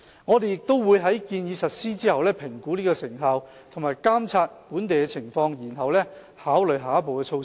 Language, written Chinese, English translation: Cantonese, 我們亦會在建議實施後，評估其成效及監察本地的情況，然後考慮下一步措施。, We will also assess the effectiveness of the proposal after its implementation and monitor the local situation before considering the next step forward